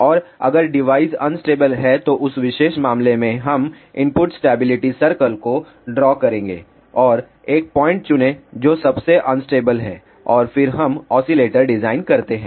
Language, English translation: Hindi, And if the device is unstable, in that particular case we will draw input stability circle and choose a point which is most unstable and then we design oscillator